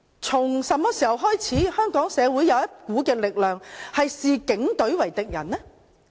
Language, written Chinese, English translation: Cantonese, 從何時開始，香港社會有一股力量視警隊為敵人呢？, Since when did a force that sees the Police as an enemy appear in Hong Kong society?